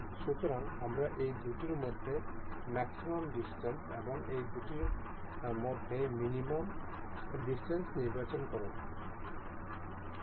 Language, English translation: Bengali, So, we will select a maximum distance between these two and a minimum distance between these two